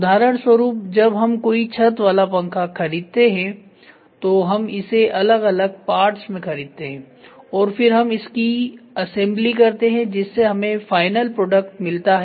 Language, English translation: Hindi, For example, when you buy a fan ceiling fan we buy it as parts and then we assemble to get the final product